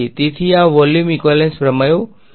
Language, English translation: Gujarati, So, this was the volume equivalence theorems